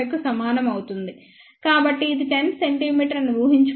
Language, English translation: Telugu, 75, so, again assuming if this is 10 centimeter 0